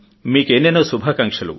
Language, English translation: Telugu, Many good wishes to you